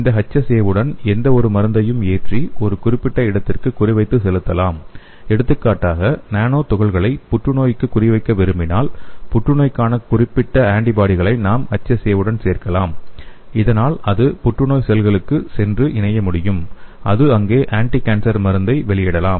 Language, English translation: Tamil, We can load them with any kind of drug and also we can target these HSA to a particular location, for example if you want to target the nano particle to the cancer, we can add the cancer specific antibodies so that it can go and bind only to the cancer cell and it can release the anticancer drug to the cancer cells